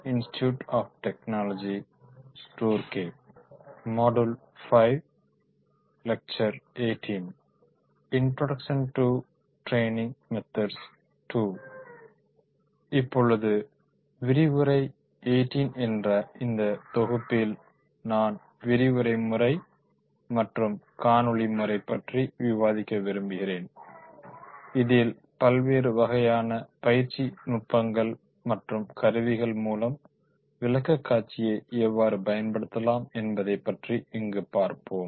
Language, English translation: Tamil, Now, in the further module that is the lecture 14, I would like to discuss the lecture method and the video method how we can make the presentations through these different types of the training techniques and tools